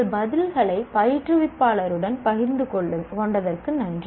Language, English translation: Tamil, Thank you for sharing your answers with the instructor